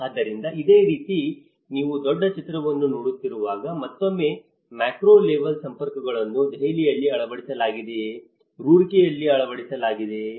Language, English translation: Kannada, So, similarly when you are looking at a larger picture that is again the macro level networks whether it has been implemented in Delhi, whether implemented in Roorkee you know so this is how we looked at it